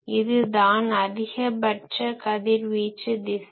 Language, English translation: Tamil, This is the maximum radiation direction